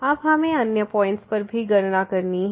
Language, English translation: Hindi, Now we have to also compute at other points